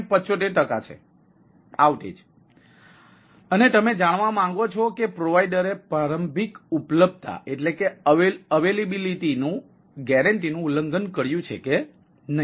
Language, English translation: Gujarati, and you want to find out whether the provider has violated the initial availability guarantee, right